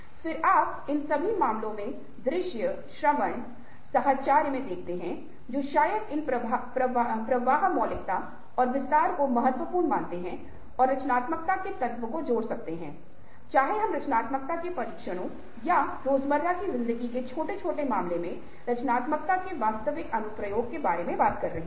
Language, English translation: Hindi, then you see that visual, auditory, associative, in all these cases you see that ah, probably, ah, these fluency, originality and elaboration are considered as important and can add to the element of a creativity, whether we are talking about tests of creativity or actual application of creativity in large and small ah cases of everyday life